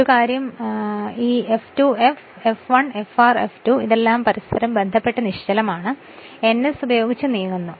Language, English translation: Malayalam, And one thing is there this F2 F this what you call this F1, Fr, F2 all are your what you call stationary with respect to each other this is also moving with ns, this is also moving with ns, right